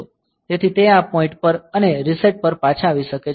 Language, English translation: Gujarati, So, it can come back to this point and on reset